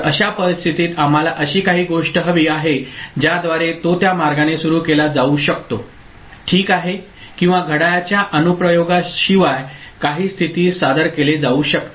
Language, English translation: Marathi, So, in that case we need something by which it can be initialised in that manner ok or some state can be introduced without the application of the clock